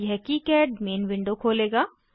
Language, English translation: Hindi, This will open KiCad main window